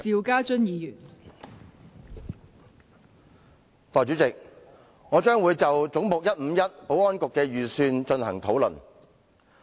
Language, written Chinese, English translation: Cantonese, 代理主席，我會就"總目 151― 政府總部：保安局"的預算開支進行討論。, Deputy Chairman I will discuss the estimate of Head 151―Government Secretariat Security Bureau